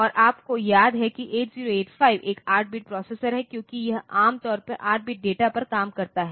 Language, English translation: Hindi, And you remember that 8085 is an 8 bit processor, because it generally operates on 8 bit data